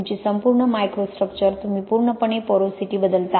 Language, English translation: Marathi, Your complete microstructure, you completely change the porosity